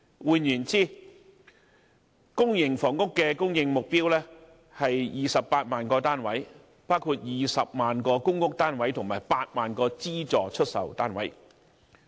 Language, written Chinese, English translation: Cantonese, 換言之，公營房屋的供應目標為28萬個單位，包括20萬個公屋單位和8萬個資助出售單位。, In other words the public housing supply target is 280 000 units comprising 200 000 PRH units and 80 000 subsidized sale flats . That said one cannot make bricks without straw